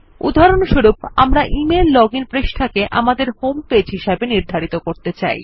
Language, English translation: Bengali, Say for example, we want to set our email login page as our home page